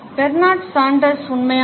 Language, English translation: Tamil, Bernard Sanders is authentic